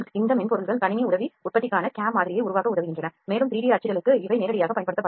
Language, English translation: Tamil, These software’s helps to develop the model for cam for computer aided manufacturing and for 3D printing these can be used directly